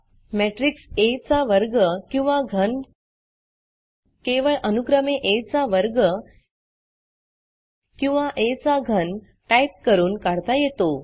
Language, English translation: Marathi, Square or cube of a square matrix A can be calculated by simply typing A square or A cube respectively